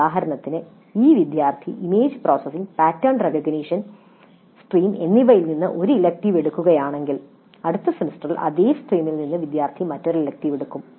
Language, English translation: Malayalam, For example if the student picks up one elective from let us say image processing and pattern recognition stream in the next semester the student is supposed to pick up another elective from the same stream